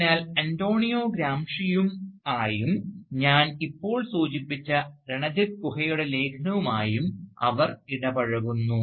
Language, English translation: Malayalam, So she engages both, with Antonio Gramsci, as well as with the essay of Ranajit Guha that I have just mentioned